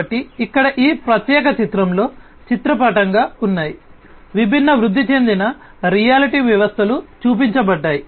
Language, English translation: Telugu, So, here in this particular picture, there are different you know pictorially the different augmented reality systems are shown